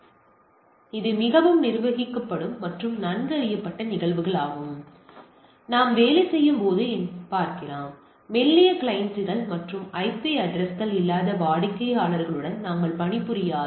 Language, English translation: Tamil, So, it is much more managed and this is well known phenomena what we see when we work; we when we work with thin clients and the clients which do not have IP address attached to it right